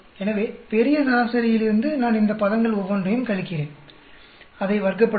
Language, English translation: Tamil, So, from the grand average I subtract each one of this terms, square it up